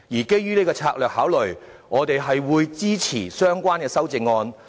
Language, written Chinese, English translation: Cantonese, 基於這個策略考慮，我們會支持相關的修正案。, Based on this strategic consideration we will support the relevant amendments